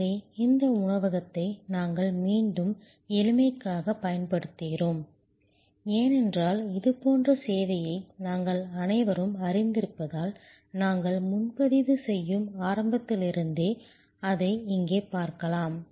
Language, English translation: Tamil, So, we have again use this restaurant for simplicity, because we have all familiar with such a service and you can see here, that right from the beginning where we take reservation